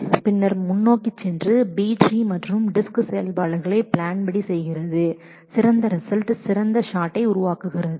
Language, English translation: Tamil, And that then goes forward and does the B tree and disk operations in according to the plan and produces the best result in possibly the best shot is possible time period